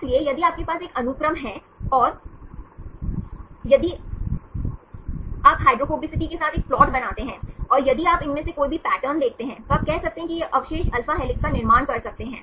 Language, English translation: Hindi, So, if you have a sequence and if you make a plot with hydrophobicity and if you see any of these patterns, then you can say that these residues can form alpha helix